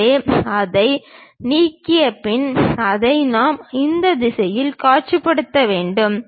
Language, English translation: Tamil, So, we have after removing that we have to visualize it in that direction